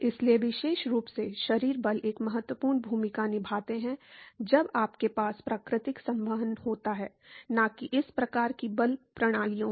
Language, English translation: Hindi, So, particularly body forces play an important role when you have natural convection, not in these kinds of force systems